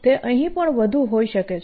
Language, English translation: Gujarati, it could be even more out here